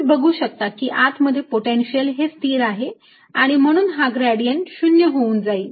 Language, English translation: Marathi, you can see potential inside is constant and therefore is gradient is going to be zero